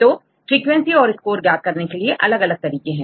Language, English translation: Hindi, So, there are various ways to get the frequencies as well as to get the score